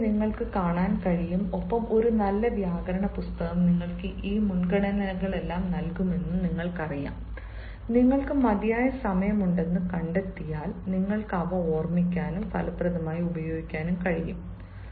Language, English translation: Malayalam, you like voice, you can see and you know a good grammar book will give you all this prepositions which, if you find you have time enough, you can remember them and use them effectively